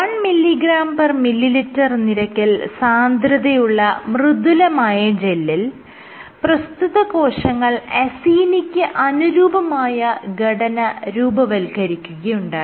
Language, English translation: Malayalam, So, on the 1 mg per ml gels, on the on the soft gels, what she found was the cells formed this acini like structure